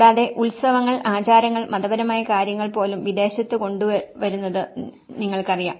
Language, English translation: Malayalam, And even the festivals, the rituals, you know the religious belonging is also brought in a foreign place